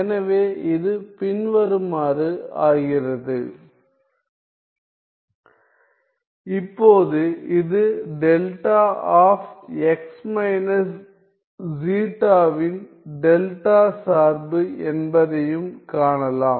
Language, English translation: Tamil, Now, it can be seen that this is also the delta function delta of x minus zeta